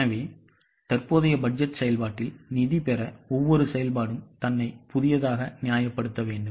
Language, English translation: Tamil, So, to receive funding in the current budget process, each activity needs to justify itself afresh